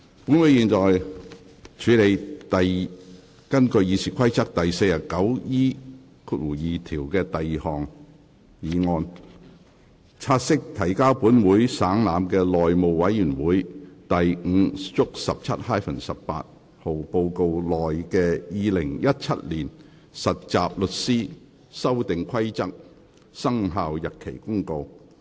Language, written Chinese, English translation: Cantonese, 本會現在處理根據《議事規則》第 49E2 條動議的第二項議案：察悉提交本會省覽的內務委員會第 5/17-18 號報告內的《〈2017年實習律師規則〉公告》。, This Council now deals with the second motion under Rule 49E2 of the Rules of Procedure To take note of the Trainee Solicitors Amendment Rules 2017 Commencement Notice which is included in Report No . 517 - 18 of the House Committee laid on the Table of this Council